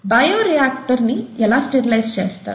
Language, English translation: Telugu, How is a bioreactor sterilized